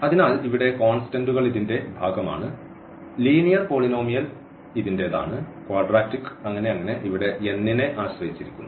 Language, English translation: Malayalam, So, here the constants also belong to this, the linear polynomial belongs to this, quadratic at so and so on depending on this n here